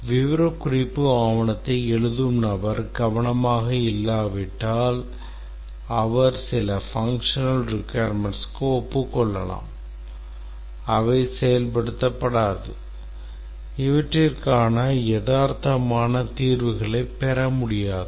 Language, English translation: Tamil, If the person writing the specification document is not careful, he might agree to some functional requirements which cannot be implemented